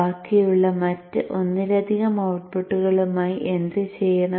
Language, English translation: Malayalam, What to do with the other remaining multiple outputs